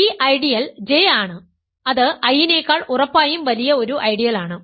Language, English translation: Malayalam, So, an ideal J is the ideal generate by I and a